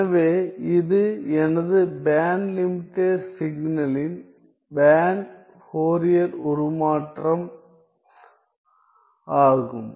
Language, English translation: Tamil, So, that is my band Fourier transform of my band limited signal